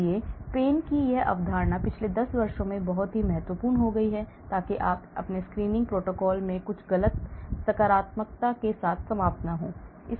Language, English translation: Hindi, So, this concept of pains has become very important in the past 10 years, so that you do not end up with some false positives in your screening protocols